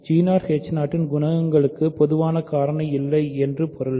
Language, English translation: Tamil, It means that the coefficients of g 0 h 0 have no common factor